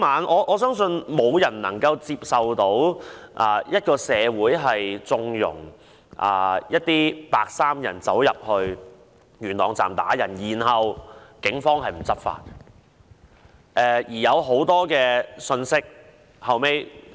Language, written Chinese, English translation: Cantonese, 我相信，沒有人能夠接受社會縱容白衣人走進元朗站打人，而警方卻沒有執法。, I do not think anyone would accept our society condoning the attack of civilians by the white - clad people in Yuen Long Station . Yet the Police did not take action to enforce the law